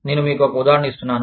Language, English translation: Telugu, I am just, giving you an example